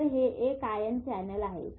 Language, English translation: Marathi, This is an ionic current